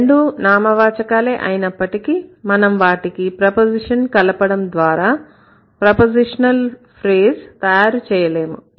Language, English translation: Telugu, Though both are noun, you cannot really apply only the preposition to make it a prepositional phrase